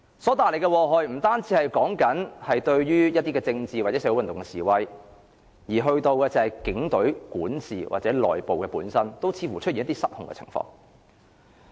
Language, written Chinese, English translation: Cantonese, 所帶來的禍害，不限於於政治或社會運動方面，連警隊管治或內部似乎也出現失控的情況。, This would not only do harm to the political or social movement but also caused the internal governance of the Police Force to lose control